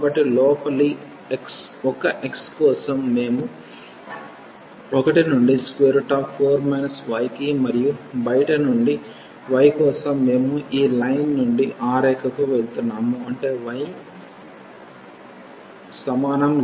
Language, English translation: Telugu, So, for the inner one x we are moving from 1 to the square root 4 minus y and for the outer one for the y, we are moving from this line to that line; that means, y is equal to 0 to y is equal to 3